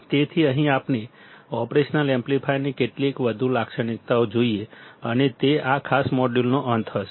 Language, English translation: Gujarati, So, here let us see few more characteristics of operational amplifier and that will be the end of this particular module